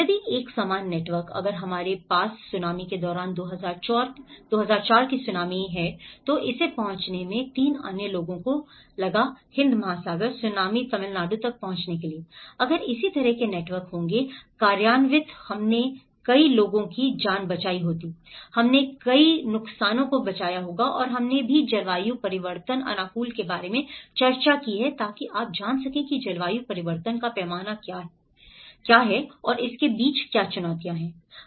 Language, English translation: Hindi, If a similar networks, if we have that during the tsunami, 2004 tsunami it took 3 others to reach, the Indian Ocean tsunami to reach the Tamil Nadu, if this similar networks would have implemented we would have saved many lives, we would have saved many losses and we also have discussed about the climate change adaptation so you know, the scale of climate change and what are the challenges between